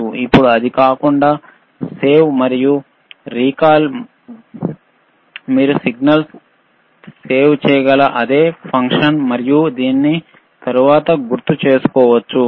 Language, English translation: Telugu, Now, other than that, save and recall is the same function that you can save the signal, and you can recall it later